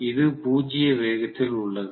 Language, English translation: Tamil, It is at zero speed